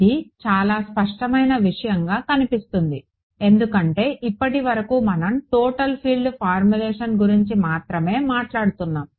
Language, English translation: Telugu, This will look like a very obvious thing because so far we have been only talking about total field formulation